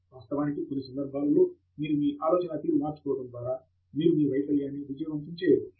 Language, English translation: Telugu, In fact, sometimes with just change of idea, you can convert your failure to a success